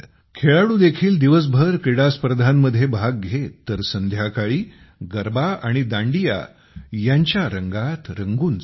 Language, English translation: Marathi, While the players also used to participate in the games during the day; in the evening they used to get immersed in the colors of Garba and Dandiya